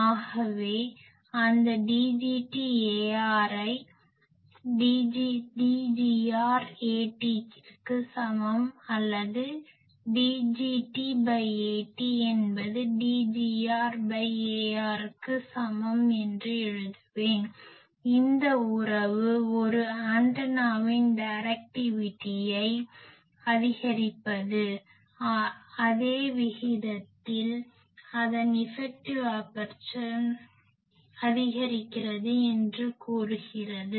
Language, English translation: Tamil, So, I will write that that D gt A r is equal to D gr A t, or D gt by A t is equal to D gr by A r, this relation says that increasing directivity of an antenna, increases its effective aperture in the same proportion